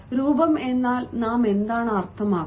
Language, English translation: Malayalam, what do we mean by appearance